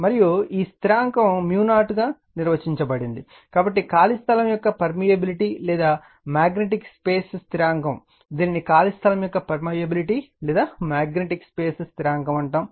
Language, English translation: Telugu, And this constant is defined as mu 0, so the permeability of free space or the magnetic space constant right, it is called permeability of free space or the magnetic space constant